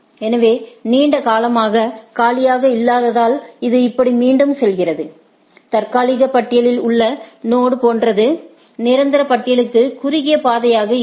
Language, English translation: Tamil, So, long then as is not empty, it goes on iterate like this; like among the node in the tentative list move the one which is the shortest path to the permanent list